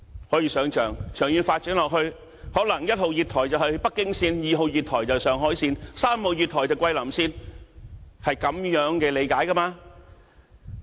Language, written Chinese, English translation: Cantonese, 可以想象，長遠發展下去，可能1號月台是北京線 ，2 號月台是上海線 ，3 號月台是桂林線，是這樣理解的。, We can imagine that in the long - term development we may have Platform 1 for Beijing line Platform 2 for Shanghai line Platform 3 for Guilin line and so on